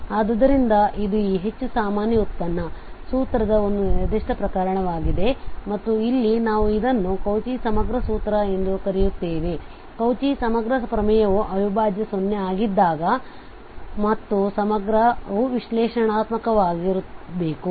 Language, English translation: Kannada, So this is a particular case of this more general derivative formula and here we call it Cauchy integral formula, not the Cauchy integral theorem, the Cauchy integral theorem was when the integral was 0 and the integrant was analytic